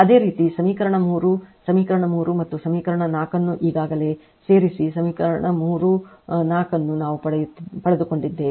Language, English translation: Kannada, Similarly, similarly you add equation your add equation 3 equation 3 and equation 4 already equation 3 equation 4 we have got it